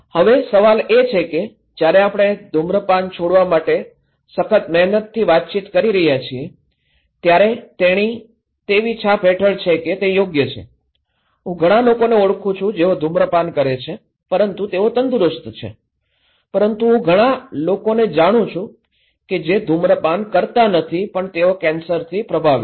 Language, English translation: Gujarati, Now, the question is when we are communicating hard to quit smoking, she is under the impression that okay I know many people who are smoking but they are fine but I know many people who are not smoker but they are affected by cancer